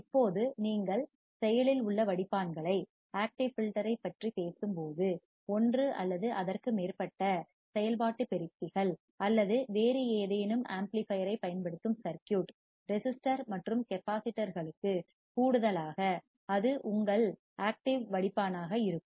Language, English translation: Tamil, Now, when you talk about active filters, the circuit that employ one or more operational amplifiers or any other amplifier, in addition to the resistor and capacitors then that will be your active filter